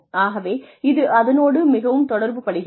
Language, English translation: Tamil, And, this really relates to that